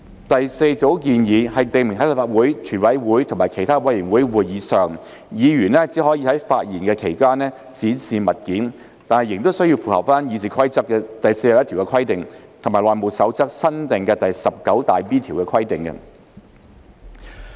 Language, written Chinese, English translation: Cantonese, 第四組建議，訂明在立法會、全委會或其他委員會會議上，議員只可在發言期間展示物件，但仍須符合《議事規則》第41條及《內務守則》新訂第 19B 條的規定。, The fourth group of proposals specifies that at Council CoWC or other committee meetings a Member may display an object only while speaking provided that RoP 41 and the new HR 19B are conformed to